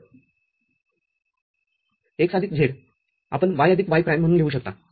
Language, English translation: Marathi, So, x plus z, you can write as y plus y prime